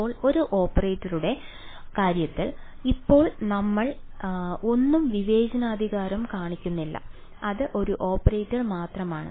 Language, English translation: Malayalam, Now, in terms of an operator right now we are not discretizing anything it is just an operator ok